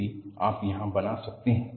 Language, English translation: Hindi, That is what you can make out here